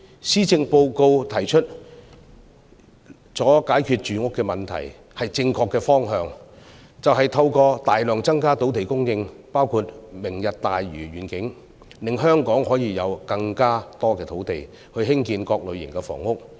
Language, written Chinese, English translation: Cantonese, 施政報告提出了解決住屋問題的方法，是正確的方向，就是透過大量增加土地供應，包括"明日大嶼願景"，令香港可以有更多土地興建各類型房屋。, In the Policy Address solutions are proposed to address the housing problem . It is right to greatly increase land supply in Hong Kong including the Lantau Tomorrow Vision programme such that we can have more land for building different kinds of housing